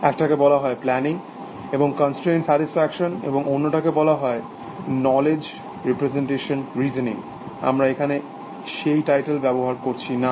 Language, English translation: Bengali, One is called planning and constraint satisfaction, and the other one is called knowledge representation reasoning, which is not the title we are using here